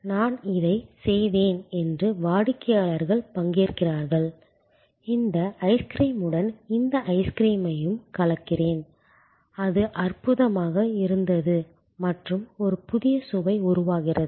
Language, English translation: Tamil, Customers participate that I did this and I mix this ice cream with this ice cream and it was wonderful and a new flavor is created